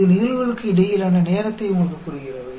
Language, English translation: Tamil, It tells you the time between events